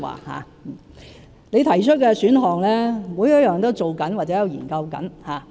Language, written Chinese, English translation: Cantonese, 他提及的選項，每一個都在進行或研究中。, Every single one of the options he mentioned has either been set in motion or is being studied